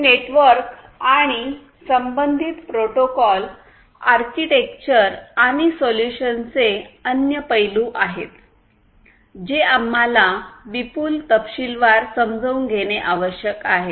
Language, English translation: Marathi, So, this is this network and the corresponding protocols, architecture, and other aspects of solutions that we need to understand in considerable detail